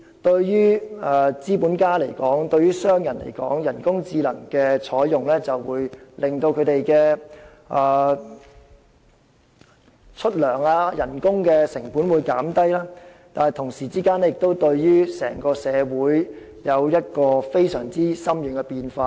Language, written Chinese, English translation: Cantonese, 對於資本家和商人而言，採用人工智能無疑能令他們的工資成本減低，但這其實同時會為整個社會帶來非常深遠的變化。, From the perspective of capitalists and businessmen the use of artificial intelligence can undoubtedly help reduce wage cost but this can actually entail far - reaching changes to the whole society at the same time